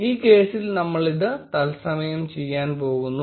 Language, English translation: Malayalam, In this case we are going to do the same in real time